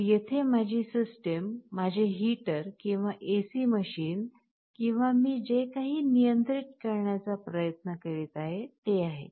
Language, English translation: Marathi, So, my system here is my heater or AC machine or whatever I am trying to control